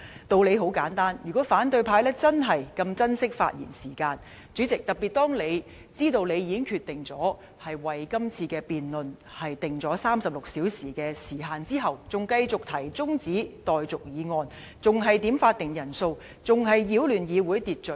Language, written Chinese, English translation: Cantonese, 道理很簡單，如果反對派真的這麼珍惜發言時間，主席，特別是當他們知道，你已經決定為這次辯論定下36小時的時限後，仍繼續提出中止待續議案、點算法定人數、擾亂議會秩序。, The reason is very simple . President if the time for speaking had really mattered so much to the opposition camp they would not have moved an adjournment motion requested headcounts or disrupted the order in the Council especially after they had learnt of your decision to cap the hours for this debate at 36